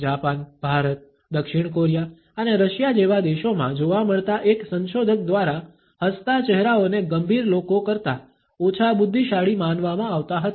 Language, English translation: Gujarati, One researcher found in countries like Japan, India, South Korea and Russia smiling faces were considered less intelligent than serious ones